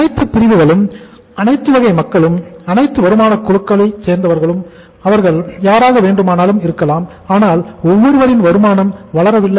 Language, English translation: Tamil, It may be possible that all segment or all category of the people, all income, people belonging to all income groups; everybody’s income is not growing